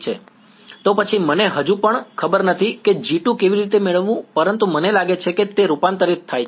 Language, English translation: Gujarati, Then, I still do not know how to get G 2, but I think it goes on the converted